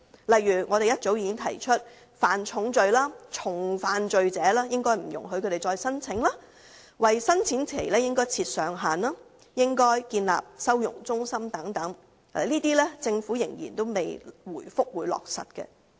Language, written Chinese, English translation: Cantonese, 例如我們早已提出，不應容許犯下重罪或重複犯罪者再次申請、為申請期設上限，以及建立收容中心等，但政府仍未回覆會落實這些建議。, For example we have long proposed forbidding offenders of serious crimes or recidivists to lodge a claim again setting a time limit for lodging claims setting up holding centres and so on but the Government has still not replied whether it will implement these proposals . The combat against bogus refugees must be carried out resolutely and swiftly